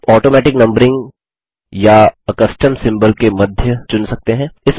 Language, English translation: Hindi, You can choose between automatic numbering or a custom symbol